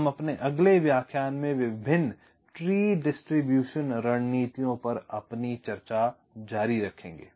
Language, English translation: Hindi, so we continue with our discussion on various tree distribution strategy in our next lecture